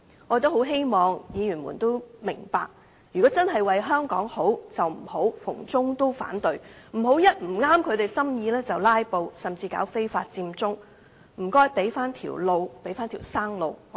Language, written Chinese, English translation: Cantonese, 我希望議員明白，如果真的為香港好，便不要逢中必反，不要一不合心意便"拉布"，甚至搞非法佔中，請給香港人一條生路。, If Members really want to do something good for Hong Kong I hope they will not oppose China indiscriminately; they will not filibuster whenever they are not happy and they will not resort to taking illegal action such as Occupy Central